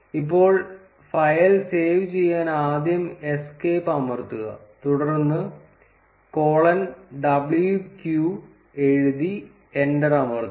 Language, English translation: Malayalam, Now, to save the file we first press escape and then we write colon w q and press enter